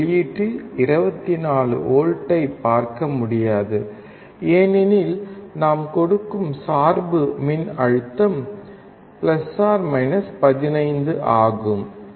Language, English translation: Tamil, We cannot see 24V at the output because the bias voltage that we are giving is + 15